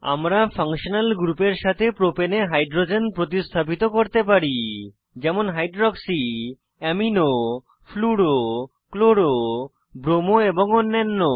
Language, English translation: Bengali, We can substitute hydrogens in the Propane with functional groups like: hydroxy, amino, halogens like fluro, chloro, bromo and others